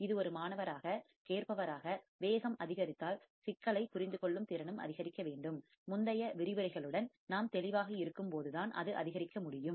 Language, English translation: Tamil, This is another skill that as a student, as a listener, we should develop that if the speed is increased our capability of understanding the problem should also increase and that can increase only when we are clear with the earlier lectures